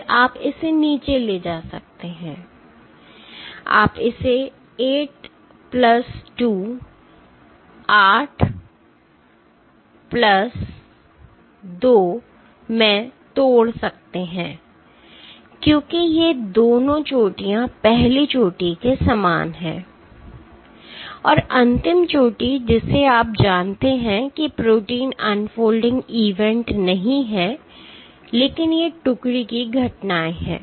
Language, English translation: Hindi, Then you can bring it down, you can break it down into 8 plus 2 because these two peaks corresponding to the first peak and the last peak you know are not protein unfolding events, but these are detachment events